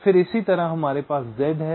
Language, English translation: Hindi, then similarly, we have z, again with two